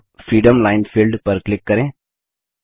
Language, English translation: Hindi, Now, click on Freeform Line, Filled